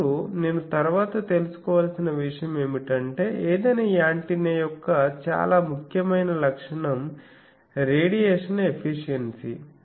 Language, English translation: Telugu, Now, next is once I know this, then a very important characteristic of any antenna is radiation efficiency